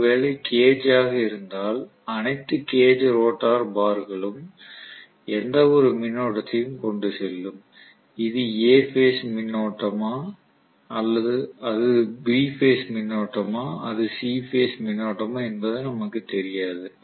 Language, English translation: Tamil, Whereas in cage, all the cage rotor bars will carry any current we do not know whether it is A phase current, whether it is B phase current, whether it is C phase current